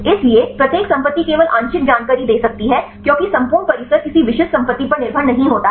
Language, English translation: Hindi, So, each property can tend only the partial information because the whole compound it is not depending upon any specific property